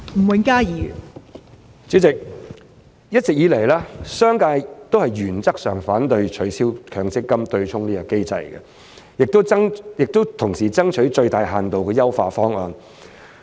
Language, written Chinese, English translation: Cantonese, 代理主席，一直以來，商界均原則上反對取消強積金"對沖"機制，同時爭取最大限度的優化方案。, Deputy President as a matter of principle the business sector has always been opposed to the abolition of the MPF offsetting mechanism and meanwhile it has been striving for a solution that offers the best refinement